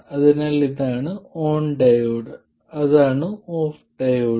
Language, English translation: Malayalam, So this is the on diode and that is the off diode